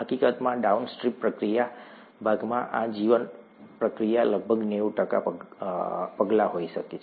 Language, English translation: Gujarati, In fact, the downstream processing part could have about 90 percent of the steps of this bioprocess